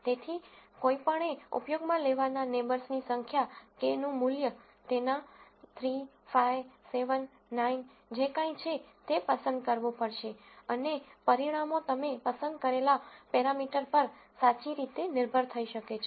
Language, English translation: Gujarati, So, one has to choose the number of neighbors that one is going to use, the value of k, whether its 3 5 7 9 whatever that is, and the results can quite significantly depend on the parameter that you choose